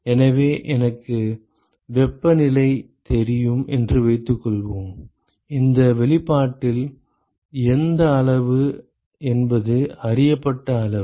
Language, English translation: Tamil, So, supposing I know the temperatures, which quantity in this expression is a known quantity